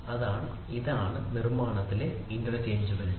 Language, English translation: Malayalam, So, that is the interchangeability in manufacturing